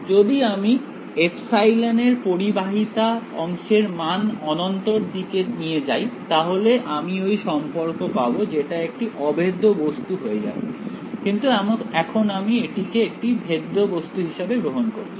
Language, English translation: Bengali, If I make the conductivity part of this epsilon tending to infinity I will get that relation that will become a impenetrable object but right now, I am taking it to be a penetrable object